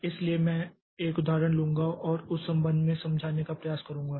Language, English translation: Hindi, So, I will take an example and try to explain with respect to that